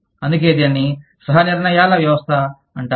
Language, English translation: Telugu, So, that is why, it is called a system of co decisions